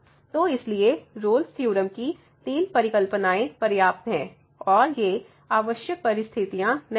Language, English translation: Hindi, So, therefore, these conditions these three hypotheses of the Rolle’s Theorem are sufficient conditions and they are not the necessary conditions